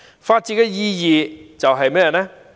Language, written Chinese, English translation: Cantonese, 法治的意義是甚麼？, What is the significance of the rule of law?